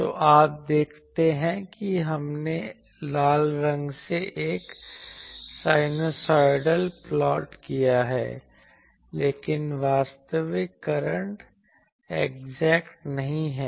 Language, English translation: Hindi, So, you see that we have plotted the sinusoidal one by the red color, but actual current is not exactly